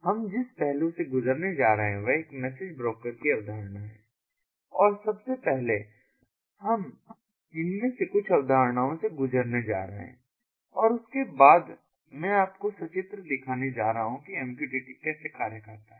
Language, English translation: Hindi, the first we are going to go through is the concept of a message broker, and first we are going to go through some of these concepts and there after i am going to show you pictorially how mqtt functions